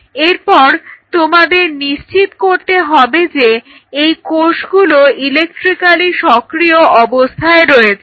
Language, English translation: Bengali, So, how you ensured that these cells are electrically active in the culture